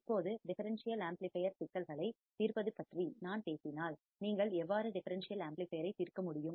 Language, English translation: Tamil, Now, if I talk about solving the differential amplifier problems this is how you can solve the differential amplifier